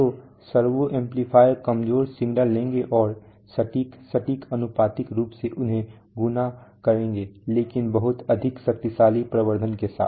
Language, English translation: Hindi, So servo amplifiers will take weak signals and will accurately, exactly, proportionally, multiply them but with lot of power amplification